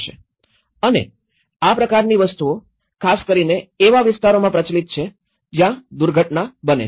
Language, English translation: Gujarati, And these kinds of things are very especially, prevalent in the localities where there are infrequent disaster events